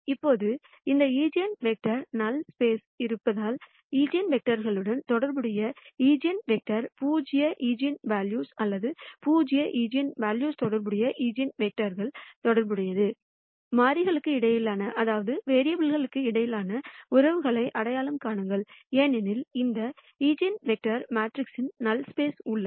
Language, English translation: Tamil, Now, since this eigenvector is in the null space, the eigenvector cor responding to the eigenvector, corresponding to zero eigenvalue or eigenvectors corresponding to zero eigenvalues, identify the relationships between the vari ables because these eigenvectors are in the null space of the matrix